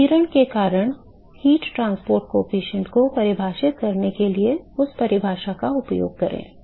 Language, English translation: Hindi, Use that definition to define heat transport coefficient because of radiation